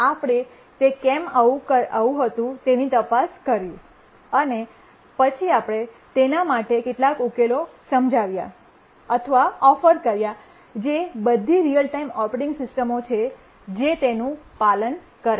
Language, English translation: Gujarati, We investigated why it was so and then we explained or offered some solutions for that which all real time operating systems, they do follow those